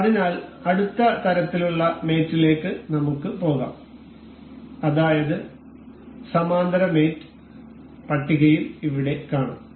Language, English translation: Malayalam, So, let us move onto the next kind of mate that is we will see here in the list that is parallel mate